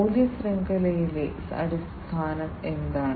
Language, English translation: Malayalam, And what is the position in the value network